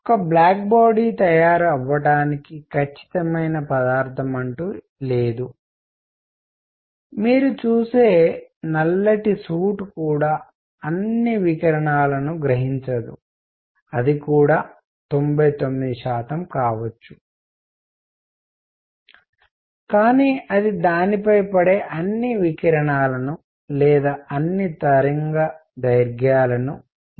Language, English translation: Telugu, There is no perfect material that forms a black body even the suit that you see does not absorb all the radiation may be 99 percent, but it does not absorb all the radiation falling on it or for all the wavelength